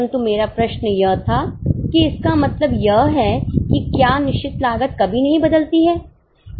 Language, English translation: Hindi, But my question was, does it mean that fixed cost never changes at all